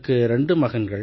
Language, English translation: Tamil, I have two sons